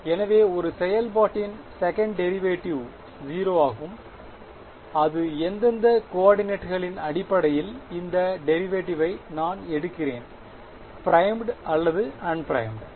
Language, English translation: Tamil, So, second derivative of a function is 0 I am taking the derivative with respect to which coordinates primed or unprimed